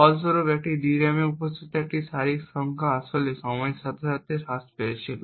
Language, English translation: Bengali, As a result, the number of such rows present in a DRAM was actually reducing over a period of time